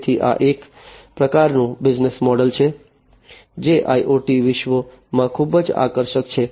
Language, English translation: Gujarati, So, this is a kind of business model that is very attractive in the IoT world